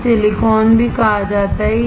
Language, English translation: Hindi, this is also called silicone